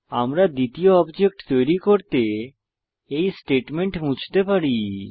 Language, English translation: Bengali, We can remove the statement for creating the second object